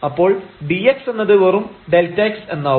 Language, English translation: Malayalam, So, 2 x into dx or dx is delta x is the same